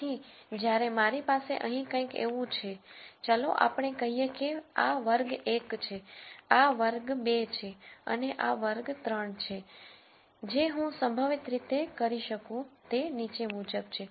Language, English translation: Gujarati, So, when I have something like this here let us say this is class 1, this is class 2 and this is class 3 what I could possibly do is the following